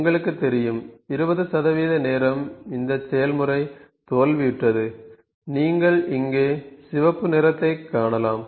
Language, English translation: Tamil, You know for the 20 percent of the time this process has failed, you can see the red colour here